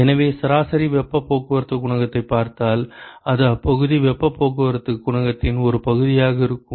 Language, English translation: Tamil, So, if you look at the average heat transport coefficient that will be some fraction of the local heat transport coefficient